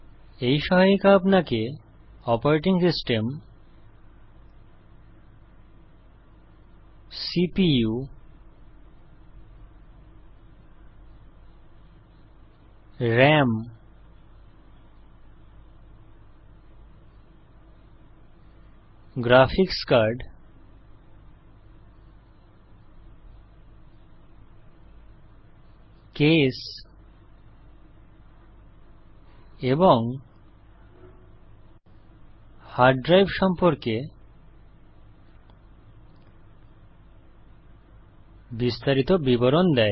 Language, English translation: Bengali, This guide gives you detailed information about Operating system, CPU, RAM, Graphics card, Case, and hard drive